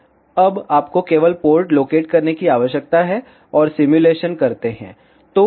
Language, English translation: Hindi, Now, you need to just locate the port, and do the simulation